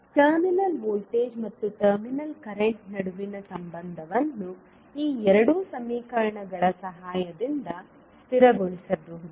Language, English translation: Kannada, The relationship between terminal voltage and terminal current can be stabilised with the help of these two equations